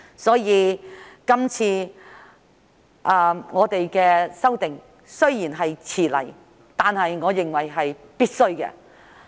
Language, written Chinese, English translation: Cantonese, 因此，今次的修訂雖然來遲了，但我認為是必須的。, Therefore although the current amendment exercise has come late I think it is necessary